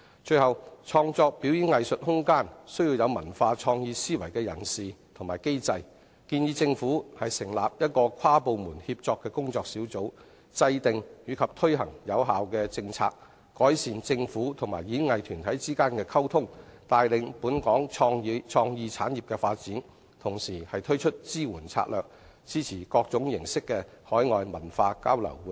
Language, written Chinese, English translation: Cantonese, 最後，創造表演藝術空間需要具有文化創意思維的主事者與機制，我建議政府成立一個跨部門協作的工作小組，制訂及推行有效政策，改善政府與演藝團體之間的溝通，帶領本港創意產業的發展，同時推出支援策略，支持各式的海外文化交流活動。, Finally the creation of room for performing arts would need some leading people with cultural and creative thinking and a mechanism . I would suggest the Government to set up an inter - departmental working group to formulate and launch effective policies improve communication between the Government and the performing groups lead the development of local creative industries and introduce supportive strategies to support all sorts of overseas cultural exchange activities